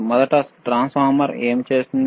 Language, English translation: Telugu, First, transformer what it will transformer do